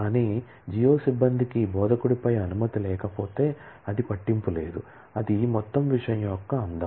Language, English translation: Telugu, But, what if the geo staff does not have permission on instructor, does not matter that is the beauty of the whole thing